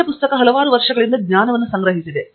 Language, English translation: Kannada, Text book is accumulated knowledge over several years